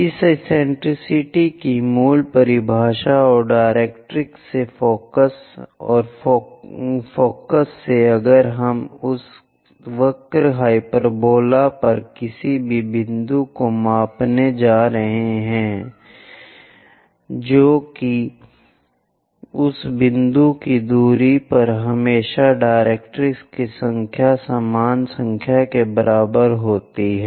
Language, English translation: Hindi, The basic definition of this eccentricity and focus from the directrix is, from focus if we are going to measure any point on that curve hyperbola that distance to the distance of that point to the directrix always be equal to the same number